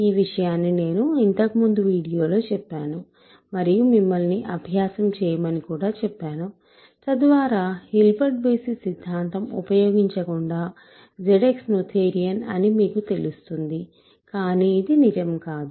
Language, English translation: Telugu, So, this is something that I said in a previous video and I actually asked you to do as an exercise, that statement so that you know that Z X is noetherian without using Hilbert basis theorem, but this is not true ok